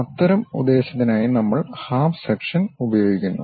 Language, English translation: Malayalam, For that kind of purpose we use half section